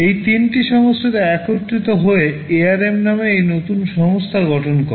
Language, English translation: Bengali, These threeis 3 companies came together and formed this new company called ARM